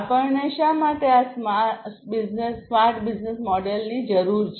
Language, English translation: Gujarati, Why do we need a smart business model